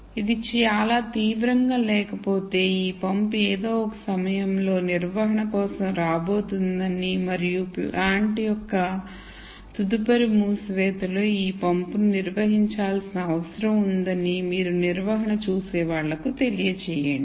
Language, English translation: Telugu, If it is not very severe you let the maintenance know that this pump is going to come up for maintenance at some time and in the next shutdown of the plant this pump needs to be maintained